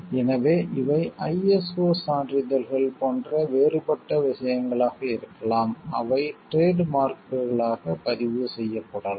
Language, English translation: Tamil, So, these can be different things like ISO certifications which can be used as registered as trademarks